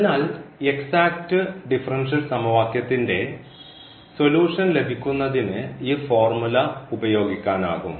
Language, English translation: Malayalam, So, this was one can use this formula to get the solution of exact differential equation